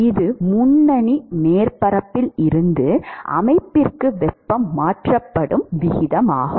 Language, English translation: Tamil, That is the rate at which heat is being transferred from the leading surface to the system